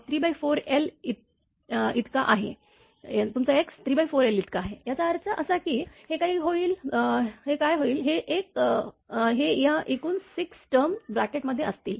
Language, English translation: Marathi, 5 T right and x is equal to your 3 by 4 l; that means, what will happen this one, this one, this one, this one, this one, this one total 6 terms will be there in the bracket